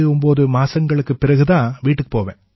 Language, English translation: Tamil, I go home after 89 months